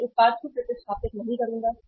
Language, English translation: Hindi, I will not replace the product